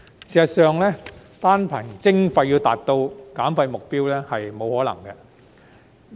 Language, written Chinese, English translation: Cantonese, 事實上，單憑徵費要達到減廢目標是不可能的。, It is actually impossible to achieve the goal of waste reduction by imposing charges alone